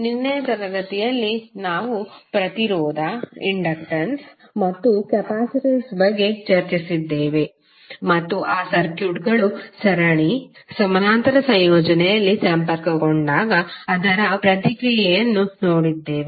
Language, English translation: Kannada, So yesterday in the class we discussed about the resistance, inductance and capacitance and we saw the response of those circuits when they are connected in series, parallel, combination